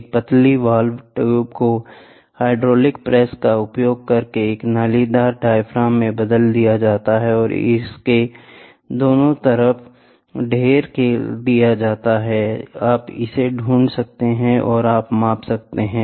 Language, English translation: Hindi, So, a pressure sensing element, a thin valve tube is converted into a corrugated diaphragm by using a hydraulic press and it is stacked on both sides, you can find measure it